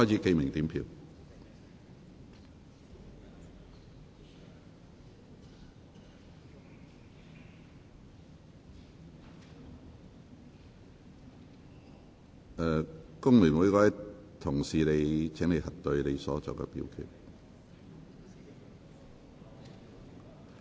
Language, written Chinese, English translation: Cantonese, 請各位議員核對所作的表決。, Will Members please check their votes